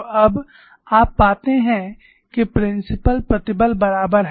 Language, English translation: Hindi, So, now, you find that principle stresses are equal